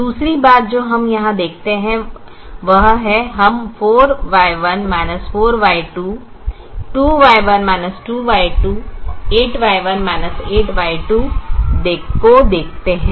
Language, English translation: Hindi, the other thing that we observe here is we see four y one minus four y two, two y one minus two, y two, eight y one minus eight y two